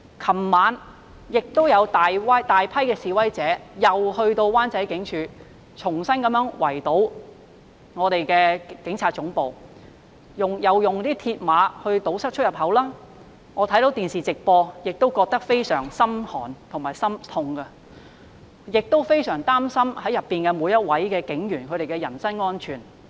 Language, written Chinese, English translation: Cantonese, 昨晚有大批示威者再到灣仔圍堵警察總部，他們再次以鐵馬堵塞出入口，我看着電視直播感到非常心寒和心痛，亦非常擔心裏面每位警員的人身安全。, A large number of protesters surrounded the Police Headquarters in Wan Chai again yesterday evening using mills barriers to block the entrance . It was terrifying and heart - wrenching to watch that live on television . I was also worried about the safety of the police officers inside